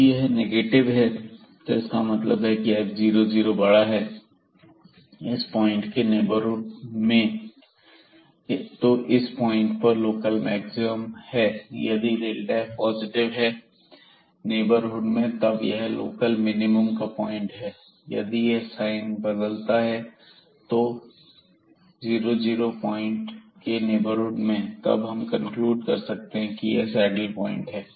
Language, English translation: Hindi, If this delta f is positive in the neighborhood then this is a point of local minimum naturally and if we changes sign in the neighborhood of this 0 0 point, then we will conclude that this is a saddle point